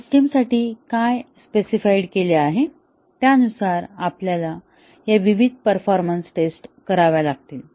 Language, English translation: Marathi, And, based on what is specified for the system, we have to carry out some or all of these various performance tests